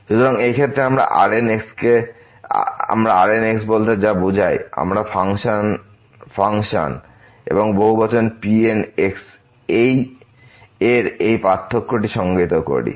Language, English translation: Bengali, So, in this case what we mean this the we define this difference of the function and the polynomial